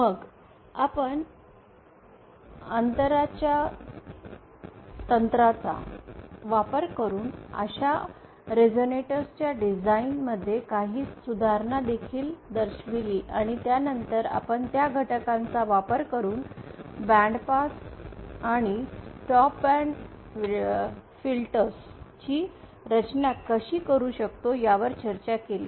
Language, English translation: Marathi, Then we also showed some improvement in the design of such resonators using the gap couple ratings and then we discussed how using those elements you can design band pass and stop filters